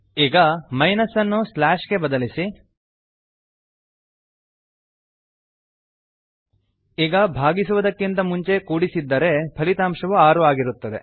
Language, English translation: Kannada, Now Change minus to a slash Now the output would be 6 if the addition is done before division